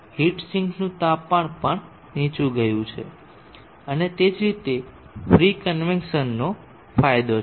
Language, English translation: Gujarati, The heat zinc temperature is also gone down and that is the advantage of having force convection